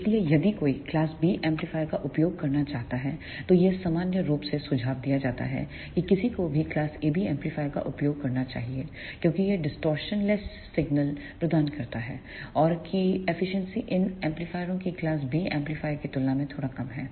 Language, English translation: Hindi, So, if one want to use the class B amplifier then it is suggested in general that one should use the class AB amplifier because it provides the distortion free signal and the efficiency of these amplifiers is just slightly less than the class B amplifier